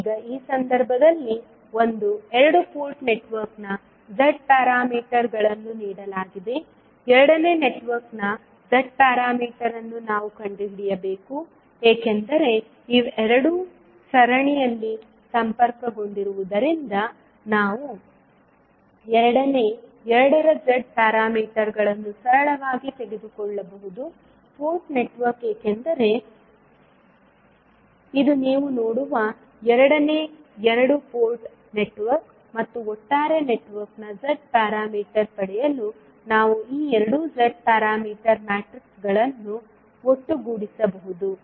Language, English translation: Kannada, Now, in this case the figure the Z parameters of one two port network is given, the Z parameter of second network we need to find out, since these two are connected in series we can simply take the Z parameters of the second two port network because this is the second two port network you will see and we can sum up these two Z parameter matrices to get the Z parameter of the overall network